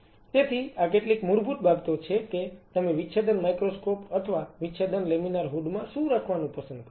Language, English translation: Gujarati, So, these are some of the basic things, what you prefer to have inside the dissecting microscope or dissecting laminar hood